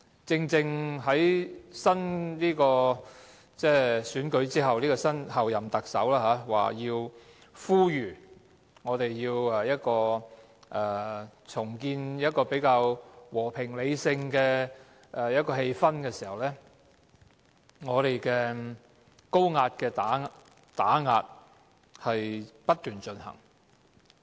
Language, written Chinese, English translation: Cantonese, 在新一屆特首選舉後，正當候任特首呼籲我們要重建較和平理性的氣氛的時候，高壓的打壓卻不斷進行。, After the election of the new Chief Executive the Chief Executive - elect urges for the restoration of a more peaceful and rational atmosphere yet high - handed suppression continues